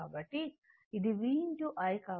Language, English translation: Telugu, So, this is your v into i